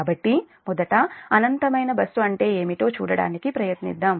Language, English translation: Telugu, so first will try to see what is infinite bus and then will try to solve this problem